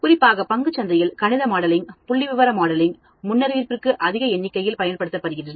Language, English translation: Tamil, Especially in share market, mathematical modeling, statistical modeling is used in large number for forecasting